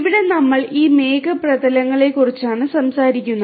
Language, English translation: Malayalam, Here we are talking about this cloud surfaces